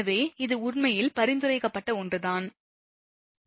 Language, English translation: Tamil, So, this is actually something is suggested right